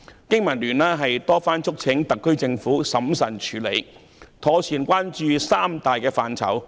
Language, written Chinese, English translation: Cantonese, 經民聯多番促請特區政府審慎處理，妥善關注三大範疇。, BPA has repeatedly urged the HKSAR Government to handle this issue carefully and pay particular attention to the three major areas